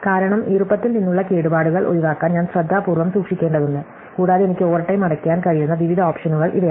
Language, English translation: Malayalam, Because, I have to keep it carefully avoid damage from moisture and so on, these are the various options I can pay overtime